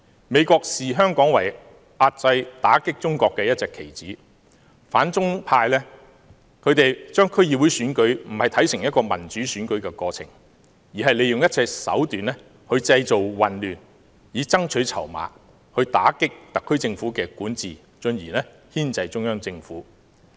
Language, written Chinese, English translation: Cantonese, 美國視香港為遏制、打擊中國的一隻棋子，反中派不是將區議會選舉看作是民主選舉的過程，而是利用一切手段製造混亂來爭取籌碼，打擊特區政府管治，進而牽制中央政府。, The United States regards Hong Kong as a pawn to suppress and contain China . The anti - China camp does not regard the District Council Election as a process of democratic election; but rather it resorts to all means to create chaos so as to increase its bargaining power to undermine the administration of the SAR Government and in turn to tie down the Central Government